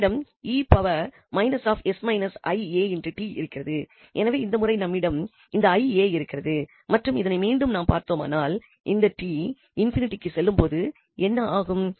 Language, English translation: Tamil, We have e power minus and s minus a i t so this time, we have this i a and now if we look at again that what will happen to this when t goes to infinity